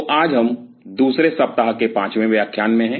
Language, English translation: Hindi, So, today we are into the fifth lecture of the second week